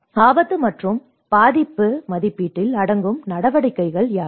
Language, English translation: Tamil, What are the activities that include in the risk and vulnerability assessment